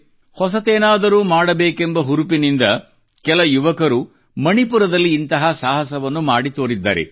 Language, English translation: Kannada, Youths filled with passion to do something new have demonstrated this feat in Manipur